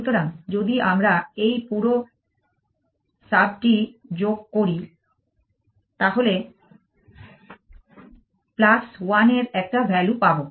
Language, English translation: Bengali, So, if we add this entire sub you will get a value of plus one now what about the other states